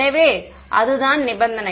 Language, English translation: Tamil, So, that is the condition